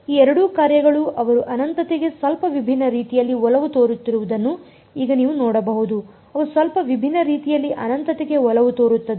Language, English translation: Kannada, Now you can see that these both these functions they tend to infinity in slightly different ways right, they tend to infinity in slightly different ways